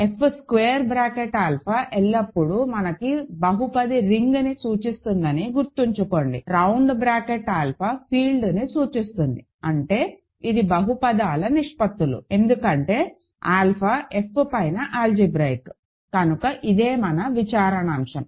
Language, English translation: Telugu, Remember F square bracket alpha always for us represents the polynomial ring, round bracket alpha represents the field; that means, it is ratios of polynomials because alpha is algebraic over F, this is the case